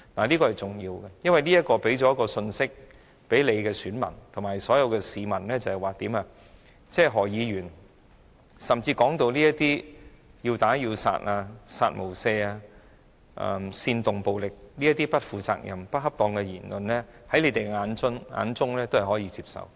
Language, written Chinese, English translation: Cantonese, 這是重要的，因為這是向你們的選民及所有市民帶出一項信息，在你們眼中，何君堯議員的"殺無赦"、煽動暴力等不負責任、不恰當的言論均是可以接受的。, This is important because this will deliver a message to their voters and the public that they accept irresponsible and inappropriate remarks such as Dr Junius HOs kill without mercy remark that incites violence